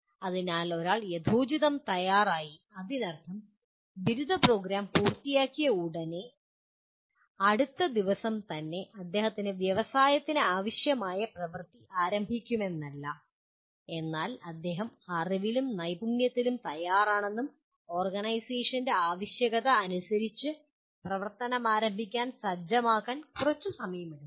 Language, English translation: Malayalam, So one is reasonably ready, it does not mean that as soon as he completes his undergraduate program he is from the next day he starts performing as required by the industry but he is ready with the knowledge and skill set and he may take a short time for him to start practicing as per the requirement of the organization